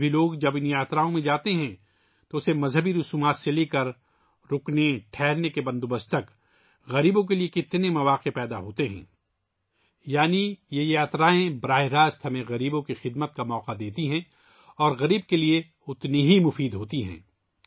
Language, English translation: Urdu, Even today, when people go on these yatras, how many opportunities are created for the poor… from religious rituals to lodging arrangements… that is, these yatras directly give us an opportunity to serve the poor and are equally beneficial to them